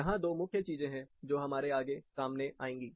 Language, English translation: Hindi, There are 2 main things, which you will commonly come across